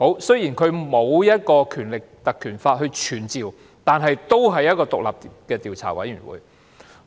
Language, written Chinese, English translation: Cantonese, 雖然它不是根據《立法會條例》而成立，但也是一個獨立的委員會。, Although it was not set up pursuant to the Legislative Council Ordinance it was still an independent committee